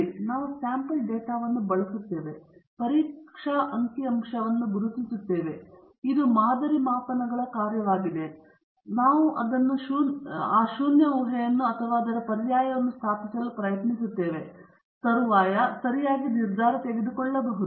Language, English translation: Kannada, Okay so, we use the sample data and identify a test statistic, which is a function of the sample measurements, using which we try to establish the null hypothesis or its alternate and subsequently make a decision okay